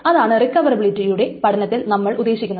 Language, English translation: Malayalam, That's the reason why we studied recoverability